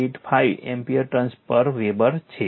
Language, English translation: Gujarati, 5785 ampere turns per Weber right